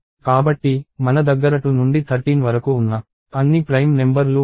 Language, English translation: Telugu, So, I have all the prime numbers from 2 to thirteen included in this